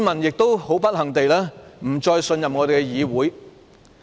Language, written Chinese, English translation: Cantonese, 同時，不幸地，市民不再信任議會。, Meanwhile it is unfortunate that the public do not trust this Council anymore